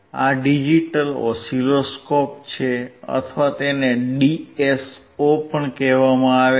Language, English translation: Gujarati, This is digital oscilloscope or it is also called DSO